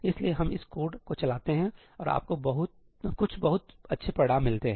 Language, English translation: Hindi, So, we run this code and you see some very good results